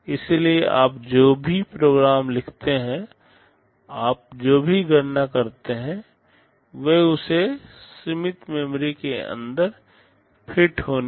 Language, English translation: Hindi, So, whatever program you write, whatever computation you do they must fit inside that limited memory space